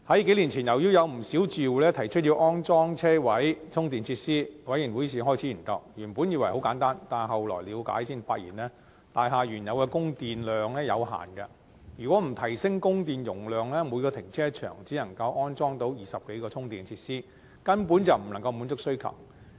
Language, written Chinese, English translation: Cantonese, 數年前，由於有不少住戶提出要安裝車位充電設施，業委會於是開始研究，原本以為很簡單，但了解後才發現大廈的原有供電量有限，如果不提升供電容量，每個停車場只能安裝約20多個充電設施，根本不能滿足需求。, Several years ago since many of the residents requested to install charging facilities in the parking spaces the OC began to look into it . It was originally thought to be very simple . Upon understanding the issue we find that the existing power supply capacity is limited if it is not upgraded each cark park can only install about 20 - odd charging facilities